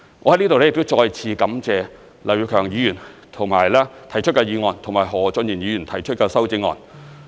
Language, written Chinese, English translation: Cantonese, 我在這裏再次感謝劉業強議員提出議案和何俊賢議員提出修正案。, Once again I would like to thank Mr Kenneth LAU here for proposing this motion and Mr Steven HO for proposing the amendment